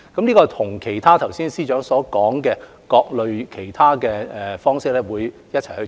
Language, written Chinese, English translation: Cantonese, 這跟剛才司長提及的各類其他措施一併進行。, This initiative will be implemented alongside with other measures mentioned by the Chief Secretary just now